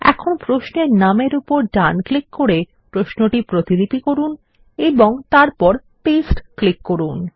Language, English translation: Bengali, Let us first copy this query, by right clicking on the query name, and then let us click on paste